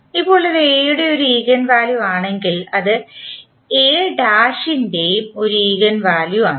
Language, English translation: Malayalam, Now, if this is an eigenvalue of A then it will also be the eigenvalue of A transpose